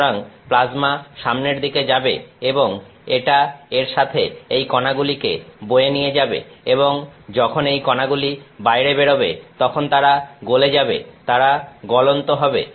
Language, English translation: Bengali, So, plasma is moving forward and it takes these particles along with it and the particles melt as they come out, they are molten